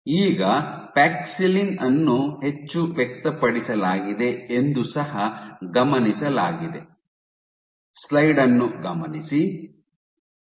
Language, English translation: Kannada, Now, what was also observed were was when paxillin was over expressed